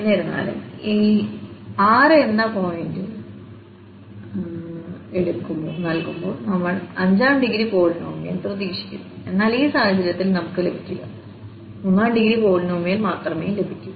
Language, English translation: Malayalam, So, though we are expecting when 6 points are given the fifth degree polynomial, but in this case, we will not get we will get only the third order, third degree polynomial